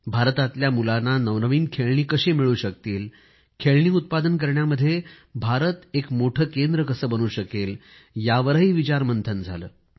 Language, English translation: Marathi, We discussed how to make new toys available to the children of India, how India could become a big hub of toy production